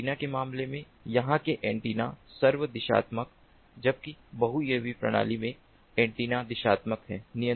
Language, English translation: Hindi, in a, in the case of antennas, the antennas over here are omni directional, whereas in multi uav system the antennas are directional